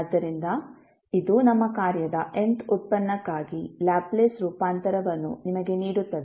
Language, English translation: Kannada, So, this will give you the Laplace transform for nth derivative of our function